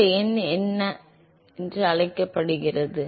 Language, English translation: Tamil, What is this number called as